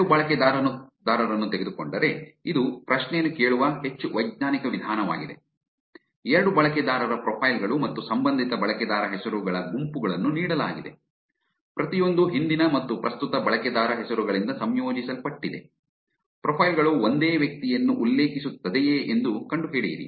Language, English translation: Kannada, Given to, so this is more scientific way of asking the question, given to user profiles and the respective user username says each composed of past and current user names find if profiles refer to the same individual